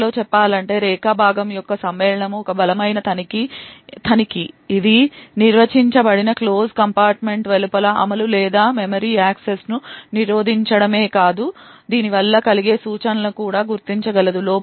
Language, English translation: Telugu, In other words the Segment Matching is a strong checking, it is not only able to prevent execution or memory accesses outside the closed compartment that is defined but it is also able to identify the instruction which is causing the fault, so this is done via the trap